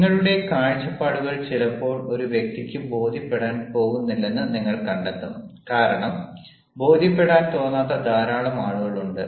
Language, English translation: Malayalam, sometimes you find that a person is not going to be convinced because there are many people who will not feel like being convinced